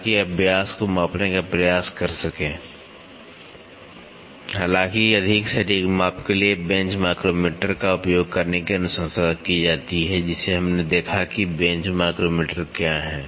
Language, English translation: Hindi, So, that you can try to measure the diameter; however, for a more precise measurement it is recommended to use a bench micrometer, which we saw what is a bench micrometer